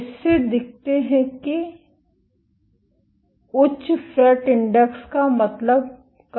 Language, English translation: Hindi, This shows that higher FRET index means lower force